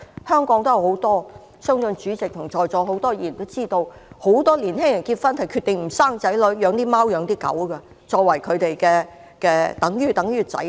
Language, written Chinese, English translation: Cantonese, 香港也有很多例子，相信主席和在座很多議員也知道，很多年輕夫婦決定不生兒育女，只養貓或狗，把牠們當作子女。, There are many examples in Hong Kong that I believe the President and many Members here are well - aware and many young couples decide not to have children but have pets instead . They treat their pets as their children